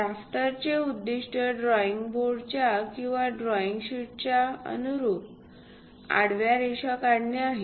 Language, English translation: Marathi, The objective of drafter is to draw a horizontal line, in line with that drafting table or the drawing sheet